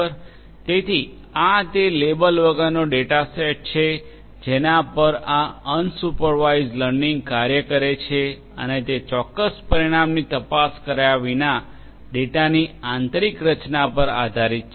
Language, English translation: Gujarati, So, this is unlabeled data set on which this unsupervised learning works and that is based on the inner structure of the data without looking into the specific outcome